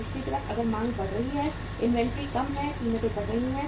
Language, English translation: Hindi, Other side if the demand is increasing, inventory is low, prices are going up